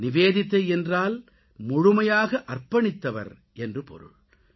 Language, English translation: Tamil, And Nivedita means the one who is fully dedicated